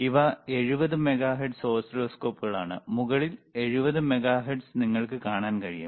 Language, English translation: Malayalam, These are 70 megahertz oscilloscope, you can you can see on the top the 70 megahertz, all right